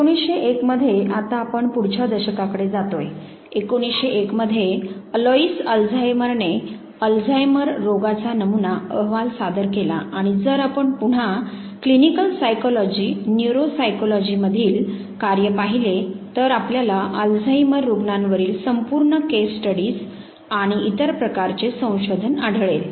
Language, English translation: Marathi, In 1901 we are now moving to the next decade, 1901 when Alois Alzheimer presented the prototypic case of Alzheimer's disease and now if you again look at the text in clinical psychology, neuropsychology you would find whole lot of case studies and other type of research reported on Alzheimer patients